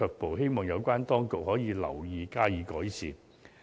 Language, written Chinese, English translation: Cantonese, 我希望有關當局能夠留意及加以改善。, I hope the authorities can take note of this and make improvement accordingly